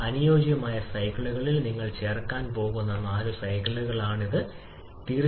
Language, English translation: Malayalam, These are the four cycles you are going to add on the ideal cycles to get the fuel air cycle